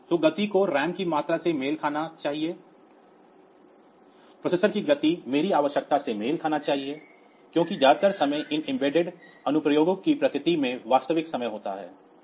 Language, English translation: Hindi, So, speed should match the amount of RAM the speed of the processor should match my requirement they because most of the time these embedded applications that we have